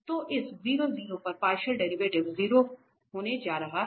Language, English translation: Hindi, So this partial derivative at this 0 0 is going to be 0